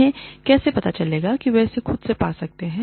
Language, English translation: Hindi, How do they know, that they can develop, themselves